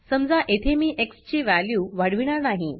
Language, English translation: Marathi, Here the value of x is added to the value of y